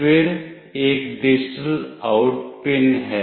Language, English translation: Hindi, Then there is a digital out pin